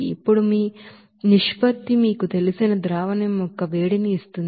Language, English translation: Telugu, Now, this ratio will give you the you know heat of solution